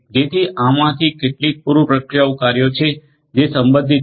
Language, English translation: Gujarati, So, these are some of these pre processing tasks that are relevant